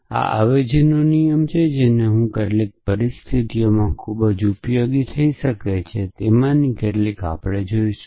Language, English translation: Gujarati, So, these are rules of substitutions which I quite useful in some situations we will see some of them